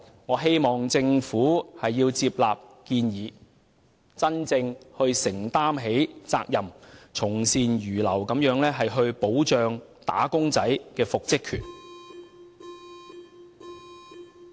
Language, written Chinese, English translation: Cantonese, 我希望政府接納建議，真正承擔責任，從善如流地保障"打工仔"的復職權。, I hope the Government will accept his proposals genuinely take responsibility and readily follow good advice in safeguarding employees right to reinstatement